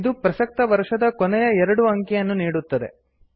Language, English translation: Kannada, It gives the last two digit of the current year